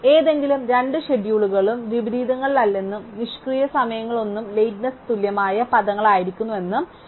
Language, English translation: Malayalam, And we already saw that any two schedules is no inversions and no idle time must be equivalent terms of lateness